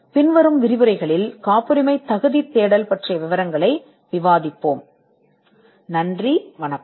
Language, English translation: Tamil, And the following lectures we will discuss the details about patentability search